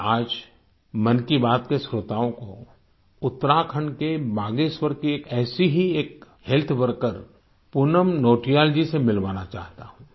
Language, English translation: Hindi, Today in Mann ki Baat, I want to introduce to the listeners, one such healthcare worker, Poonam Nautiyal ji from Bageshwar in Uttarakhand